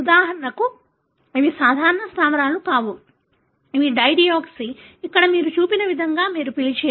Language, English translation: Telugu, For example, these are not the normal base, these are dideoxy, what you call as, like what is shown here